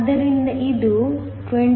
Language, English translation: Kannada, So, this is 21